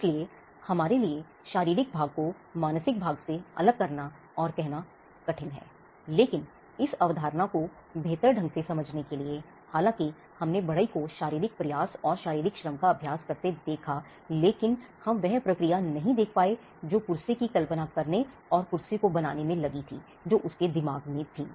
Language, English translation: Hindi, So, it is very hard for us to cut and say the physical part is different from the mental part, but for us to understand this concept better, though we saw the carpenter exercising physical effort and physical labor, we were not able to see the process that went in in conceiving the chair and in putting the chair together, which went in his mind